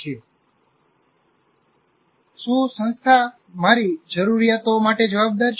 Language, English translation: Gujarati, And is the institution responsive to my needs